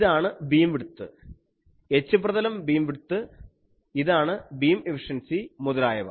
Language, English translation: Malayalam, So, this is the beam width, H plane beam width, this is beam efficiency etc